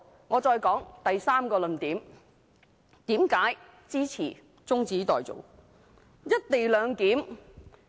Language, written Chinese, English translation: Cantonese, 我再說第三個論點，為何支持中止待續。, I will present the third argument to explain why I support the adjournment